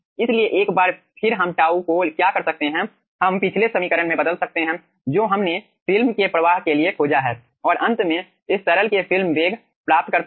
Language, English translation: Hindi, so, once again, what we can do, tau, we can replace from the previous equation what we have found out for the film flow and finally obtain the film velocity in this fashion